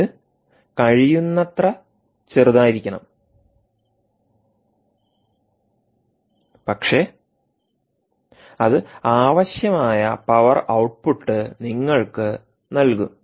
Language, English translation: Malayalam, it should be as small as possible, ok, yet it should give you the required power output